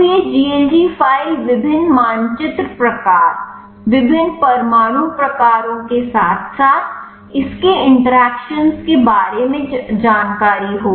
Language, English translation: Hindi, So, this GLG file will be having the information about the different map type, different atom types along with its interactions